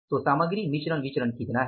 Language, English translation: Hindi, And what is the material mixed variance